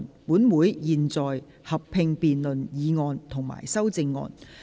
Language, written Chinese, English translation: Cantonese, 本會現在合併辯論議案及修正案。, This Council will conduct a joint debate on the motion and the amendments